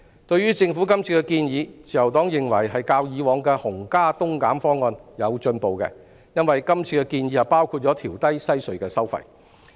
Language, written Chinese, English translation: Cantonese, 對於政府今次的建議，自由黨認為是較以往的"紅加東減"方案有進步，因為今次建議內包括會調低西隧的收費。, In regard to this proposal from the Government the Liberal Party thinks that it has improved from the previous one which involved an increase of tolls for CHT and a decrease of tolls for EHC as this proposal includes the reduction of tolls for WHC